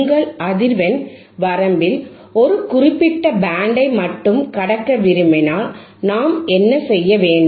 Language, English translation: Tamil, wWhat about when we want to pass only a certain band in your frequency range, right